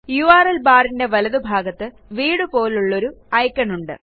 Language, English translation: Malayalam, To the right of the URL bar, is an icon shaped like a house